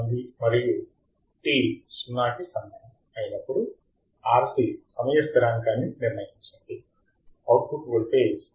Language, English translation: Telugu, At time t equals to 0 again, determine the R C time constant, R C time constant necessary such that output voltage Vo reaches to 10